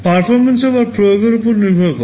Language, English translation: Bengali, Performance again depends on the application